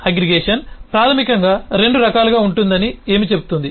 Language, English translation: Telugu, that aggregation basically can be of 2 types